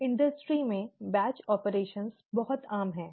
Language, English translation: Hindi, The batch operations are very common in the industry